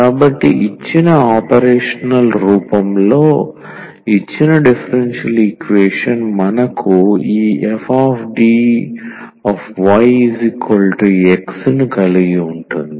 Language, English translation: Telugu, So, the given differential equation retain in this operator form we have this f D y is equal to the X